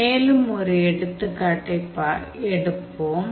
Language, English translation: Tamil, How to do it, let us take one more example